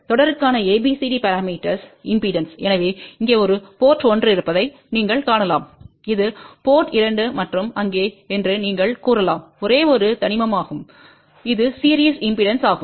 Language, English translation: Tamil, So, ABCD parameters for series impedance, so you can see here those are basically port 1 you can say this is port 2 and there is a only single element which is a series impedance